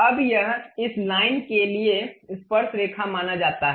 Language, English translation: Hindi, Now, this supposed to be tangent to this line